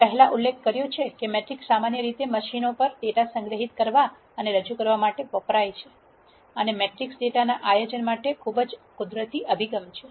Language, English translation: Gujarati, As I mentioned before matrices are usually used to store and represent data on machines and matrix is a very natural approach for organizing data